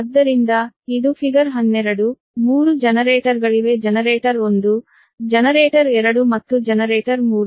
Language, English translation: Kannada, there are three generators: generator one, generator two and generator three